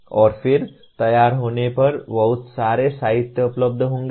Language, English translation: Hindi, And then having formulated, there would be lot of literature available